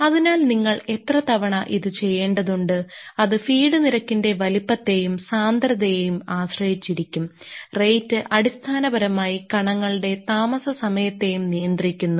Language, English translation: Malayalam, So, ah it requires that ah at how frequently you have to do, that will depend on the size feed rate and the density the rate is basically also controlling the your residence time of the particles